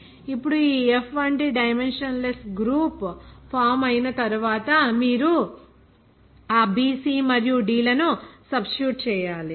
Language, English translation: Telugu, Now after that formation of the dimensionless group like this F you substitute that value of b c and d